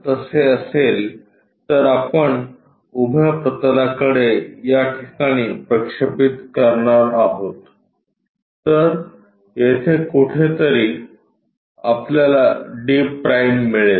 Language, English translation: Marathi, If that is the case what we are going to do project this point on to vertical plane, somewhere there we will get d’